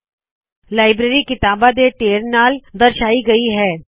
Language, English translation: Punjabi, The library is indicated by a stack of books